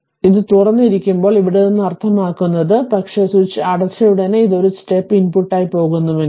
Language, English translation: Malayalam, I mean from here when it is open is ok, but as soon as you close the switch and if it is going as a step input